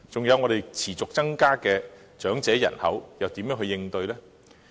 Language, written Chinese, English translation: Cantonese, 還有，香港的長者人口持續增加，要如何應對呢？, Also how do we tackle the continuous growth of the elderly population in Hong Kong?